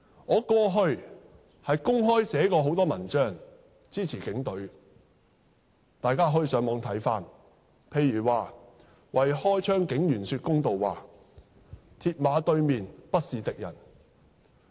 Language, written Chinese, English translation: Cantonese, 我過去曾公開寫過很多文章支持警隊，大家可以上網翻看，例如標題為"為開槍警員說公道話"、"鐵馬對面，不是敵人"等的文章。, I have openly written many articles in support of the Police before and Members may look them up on the Internet such as those entitled A few words to do justice to the cops firing shots On the other side of the mills barriers are no enemies and so on